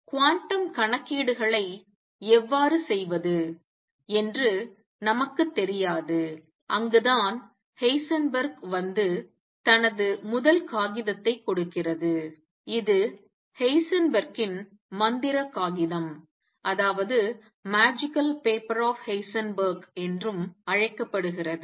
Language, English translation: Tamil, We do not know how to do quantum calculations themselves and that is where Heisenberg’s comes and gives his first paper which has also being called the magical paper of Heisenberg